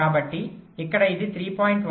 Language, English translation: Telugu, so here it should be